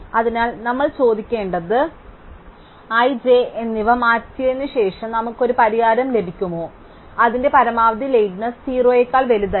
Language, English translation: Malayalam, So, what we need to ask is whether after swapping i and j we get a solution whose maximum lateness is no larger than that of O